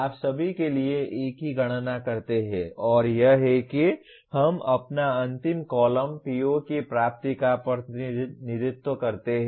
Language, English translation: Hindi, You do the same calculation for all and this is how we get our the last column represents the attainment of POs